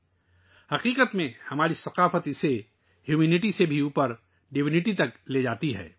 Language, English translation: Urdu, In fact, our culture takes it above Humanity, to Divinity